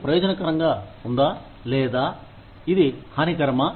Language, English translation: Telugu, Is this beneficial, or is this harmful